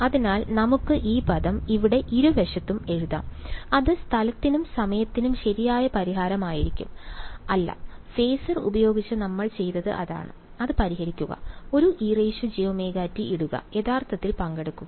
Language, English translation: Malayalam, So, let us write this term over here on both sides that would be the total solution in space and time right; no that is what we did with facer; solve it, put a e to the j omega t and take real part